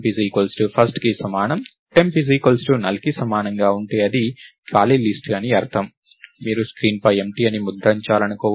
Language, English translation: Telugu, If temp itself is null which means its an empty list, you may want to print empty on the screen